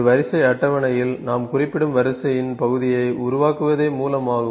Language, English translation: Tamil, Source is to produce, the part of the sequence which we specify in a sequence table